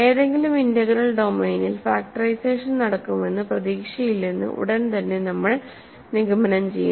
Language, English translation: Malayalam, So, immediately we conclude that there is no hope of doing factorization in any integral domain